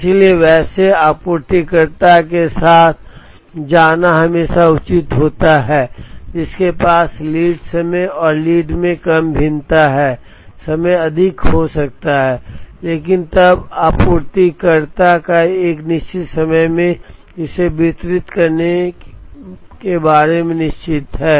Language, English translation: Hindi, So, it is always advisable to go for a supplier, who has less variation in lead time and lead time may be higher but, then the supplier is very sure about delivering it in a certain amount of time